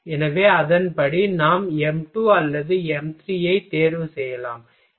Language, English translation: Tamil, So, accordingly we can choose the material either m 2 or m 3